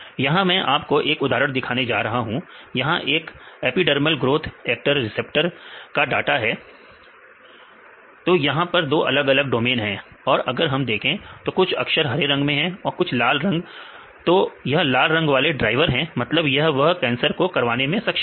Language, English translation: Hindi, So, here I am going to show one example this is the data for the epidermal growth factor receptors here two different domains and if we see some letters in green as some of them are in red and the green one are the drivers; that means, they cause, they can cause cancer for the progression of the cancer